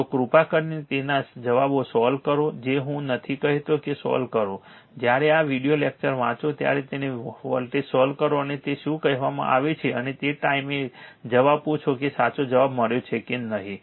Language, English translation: Gujarati, So, you please solve it answers I am not telling you solve it, when you read this video lecture you solve it and you are what you call and at the time you ask the answer whether you have got the correct answer or not will